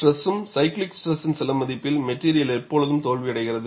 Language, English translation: Tamil, At some value of stress, cyclical stress, the material always fails